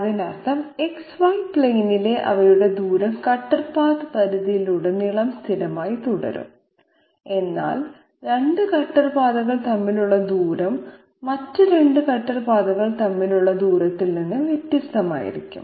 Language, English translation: Malayalam, That means their distance on the X Y plane is remaining is going to remain constant all through the cutter path extent, but distance between 2 cutter paths might well be different from the distance between 2 other cutter paths